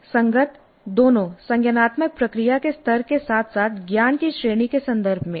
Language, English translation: Hindi, Consistent both in terms of the level of cognitive process as well as the category of the knowledge